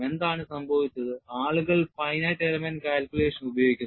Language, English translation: Malayalam, What has happened is, people are using finite element calculation